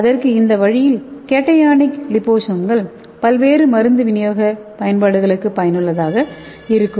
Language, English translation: Tamil, So these cationic liposomes can easily bind and it can be useful for various drug delivery applications